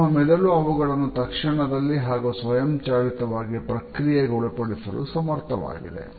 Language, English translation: Kannada, Our brain is capable of processing them almost immediately and automatically